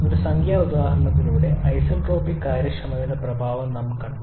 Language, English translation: Malayalam, And the effect of isentropic efficiency we have seen through a numerical example